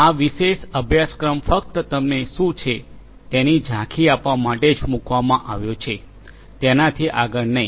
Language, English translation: Gujarati, This particular course is scoped only to give you an overview of what is what, not beyond that right